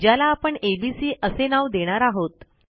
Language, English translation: Marathi, I will create my own array, which I will call ABC